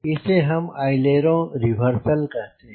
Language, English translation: Hindi, we call it aileron reversal